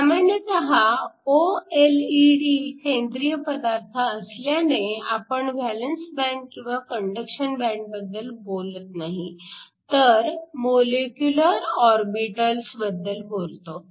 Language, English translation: Marathi, Usually OLED’s because your organic materials, we do not talk about valence band or a conduction band, but we talk about molecular orbitals